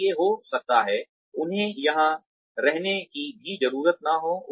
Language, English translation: Hindi, So, maybe, they do not even need to be here